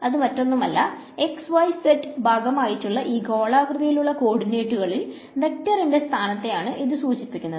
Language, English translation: Malayalam, This is nothing but the position vector in spherical coordinates x y z those are the component